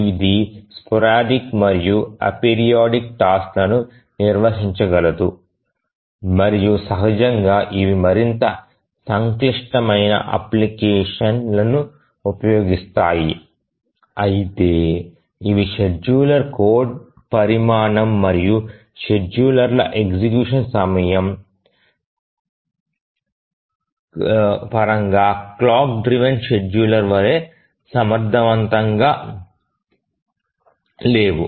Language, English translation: Telugu, This can handle the sporadic and apiridic tasks and naturally these are used more complex applications but these are not as efficient as the clock driven scheduler both in terms of the code size of the schedulers and also the execution time of the schedulers